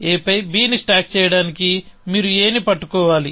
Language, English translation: Telugu, To stack a on b, you must be holding a